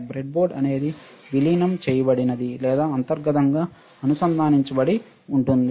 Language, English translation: Telugu, The breadboard is integrated or internally it is connected internally it is connected